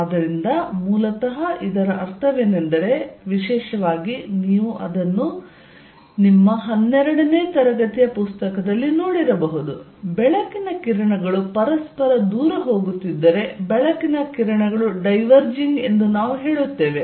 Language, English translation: Kannada, So, what basically it means is particularly, because you may have seen it in your 12th grade book, if light rays are going away from each other, we say light rays are diverging, if people have differing views we will say they have divergent views